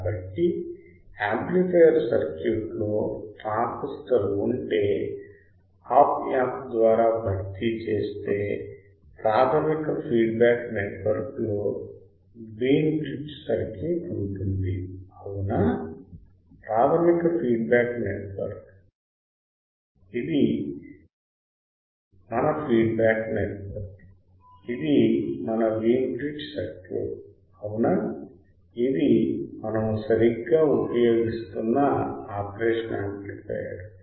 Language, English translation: Telugu, So, if the amplifier circuit is in transistor is replaced by a Op amp with the basic feedback networks remains as the Wein bridge circuit right; the basic feedback network this is our feedback network which is our Wein bridge circuit correct, this is the operation amplifier that we are using right